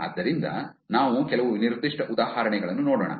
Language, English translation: Kannada, So, let's look at some specific examples